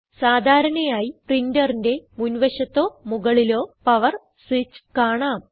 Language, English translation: Malayalam, Usually there is a power switch on the front or top part of the printer